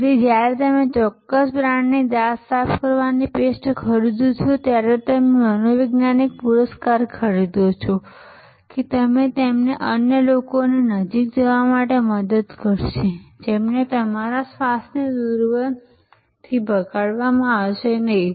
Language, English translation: Gujarati, So, when you buy a certain brand of toothpaste you are buying the psychological reward that it will help you to get close to others, who will not get repulsed by your bad breath